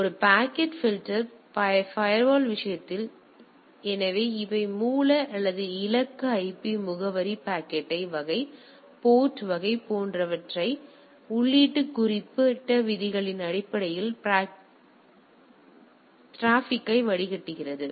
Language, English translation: Tamil, So, in case of a packet filter firewall; so, traffic is filtered based on the specific rules right including source and destination IP address, packet type, port type etcetera